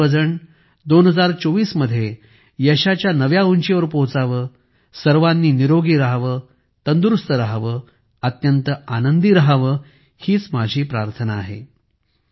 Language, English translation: Marathi, May you all reach new heights of success in 2024, may you all stay healthy, stay fit, stay immensely happy this is my prayer